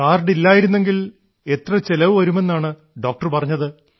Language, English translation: Malayalam, If there was no card, how much cost did the doctor say earlier